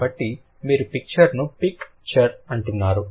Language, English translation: Telugu, So, you are saying picture, picture